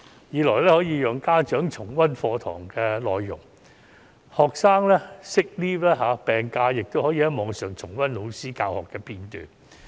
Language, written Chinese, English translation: Cantonese, 此外，亦可以讓家長重溫課堂內容，即使學生請了病假亦可以從網上重溫老師的教學片段。, Furthermore parents may review the lessons and students on sick leave may also review the lessons online